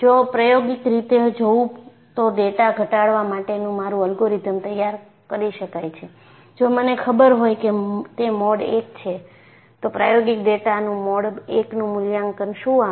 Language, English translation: Gujarati, If I take an experimental root, my algorithm for data reduction could be tailor made, if I know if it is mode 1, what is the mode 1 evaluation of experimental data